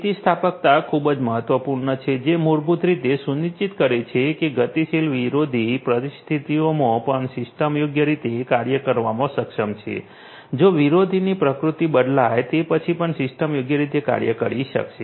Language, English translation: Gujarati, Resilience is very important which basically ensures that the system is able to function correctly on adversarial on dynamic adversarial conditions; if the nature of the adversaries changes, then also the system would be able to function correctly